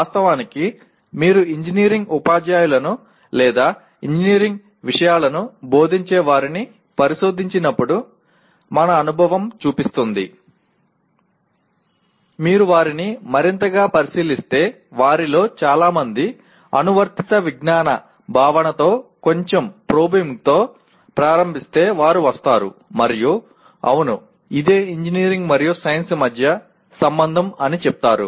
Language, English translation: Telugu, And actually our experience shows when you probe engineering teachers or those who are teaching engineering subjects, if you probe them further while many of them start with the concept of applied science with a little probing they will come and say yes this is what the relationship between engineering and science